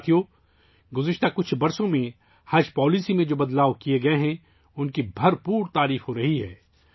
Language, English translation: Urdu, Friends, the changes that have been made in the Haj Policy in the last few years are being highly appreciated